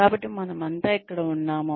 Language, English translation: Telugu, So, we are all here